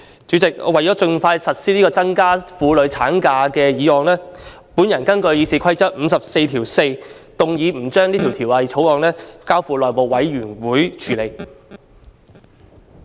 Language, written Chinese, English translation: Cantonese, 主席，為了盡快實施這項增加婦女產假的建議，我根據《議事規則》第544條，動議《2019年僱傭條例草案》不交付內務委員會處理。, President in order to implement this proposal to extend the maternity leave for women as soon as possible I seek to move a motion in accordance with Rule 544 of the Rules of Procedure RoP that the Employment Amendment Bill 2019 be not referred to the House Committee